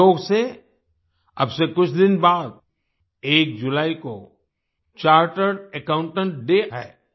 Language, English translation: Hindi, Coincidentally, a few days from now, July 1 is observed as chartered accountants day